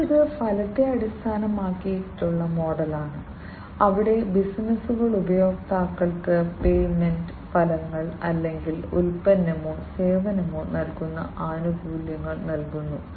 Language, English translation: Malayalam, The next one is the outcome based model, where the businesses they deliver to the customers the payment, the outcomes or the benefits that the product or the service provides